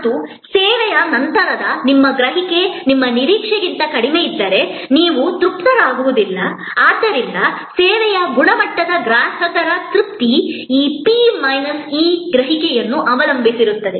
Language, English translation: Kannada, And if your perception after the service is lower than your expectation, then you are not satisfied, so the service quality customer satisfaction depend on this P minus E perception